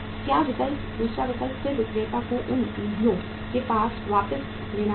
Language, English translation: Hindi, What option, second option then the seller has to get those funds back